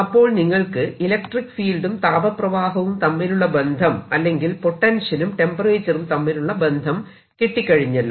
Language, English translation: Malayalam, so this gives you a connection between electric field and the heat flow or the potential and the temperature